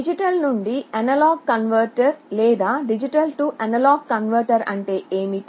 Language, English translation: Telugu, What is a digital to analog converter or a D/A converter